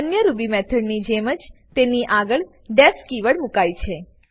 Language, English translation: Gujarati, Like other Ruby methods, it is preceded by the def keyword